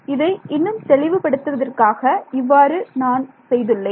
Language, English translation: Tamil, So, just to be even more explicit, this is what I made